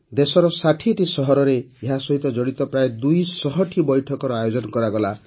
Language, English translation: Odia, About 200 meetings related to this were organized in 60 cities across the country